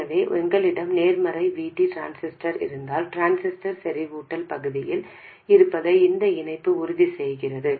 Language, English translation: Tamil, So, if we have a positive VT transistor, this connection ensures that the transistor remains in saturation region